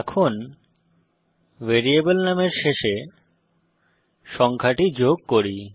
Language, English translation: Bengali, Now let us add the number at the end of the variable name